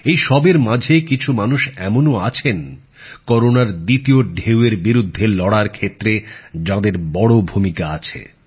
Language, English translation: Bengali, Amidst all this, there indeed are people who've played a major role in the fight against the second wave of Corona